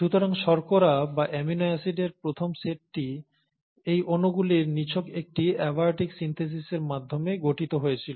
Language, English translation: Bengali, So the first set of sugars or amino acids would have been formed by a mere abiotic synthesis of these molecules